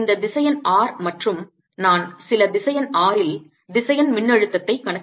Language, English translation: Tamil, this vector is r and i am calculating the vector potential at sum vector r